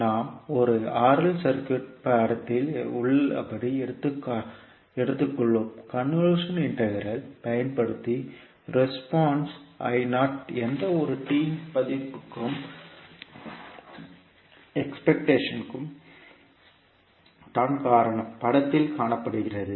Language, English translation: Tamil, So let us take one r l circuit which is shown in the figure below, we will use the convolution integral to find the response I naught at anytime t due to the excitation shown in the figure